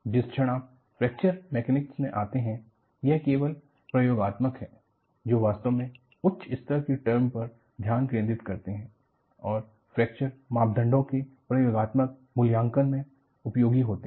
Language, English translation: Hindi, The moment, you come to Fracture Mechanics, it is only experimentalist, who really focus on higher order terms and that, utility in experimental evaluation of fracture parameters